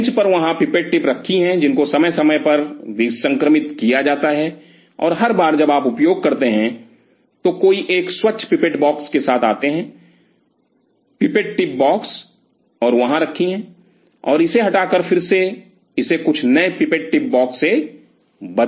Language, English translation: Hindi, If the pipette tip sitting there on the bench which time to time are sterilized and every time you use somebody comes with a fresh pipette box, pipette tip box and kept it there and remove it and again replace it some new pipette tip box